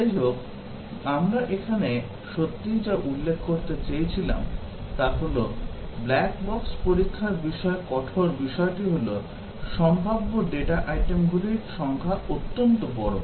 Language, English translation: Bengali, Anyway, what we really wanted to point out here is that, the hard thing about black box testing is that, the number of possible data items are extremely large